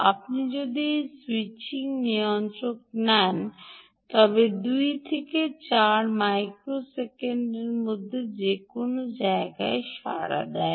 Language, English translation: Bengali, if you take a switching regulator, it responds anywhere between two and eight microseconds